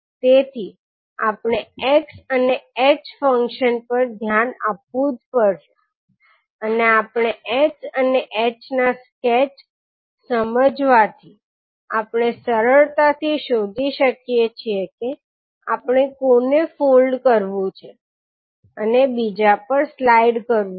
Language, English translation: Gujarati, So we have to look at the functions x and h and we can with the help of just understanding the sketch of x and h, we can easily find out which one we have to fold and slide over the other one